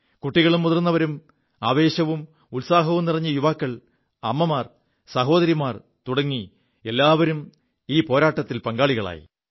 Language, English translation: Malayalam, Children, the elderly, the youth full of energy and enthusiasm, women, girls turned out to participate in this battle